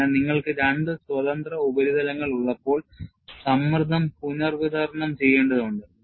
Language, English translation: Malayalam, So, when you have 2 free surfaces, the stress has to be redistributed